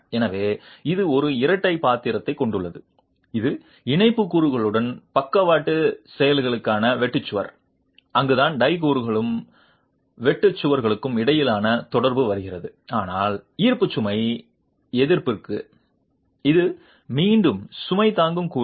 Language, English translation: Tamil, So, it has a dual role, it's the shear wall for lateral actions along with the tie elements, that's where the interaction between the tie elements and the shear walls come about, but for gravity load resistance, it's again the load bearing elements